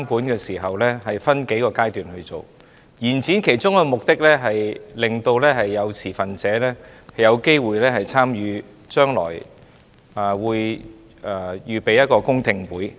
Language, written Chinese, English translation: Cantonese, 延展修訂期限的其中一個目的，是讓持份者有機會參與將來舉行的公聽會。, One of the purposes of extending the period for amendment is to allow stakeholders to attend public hearings to be held in the future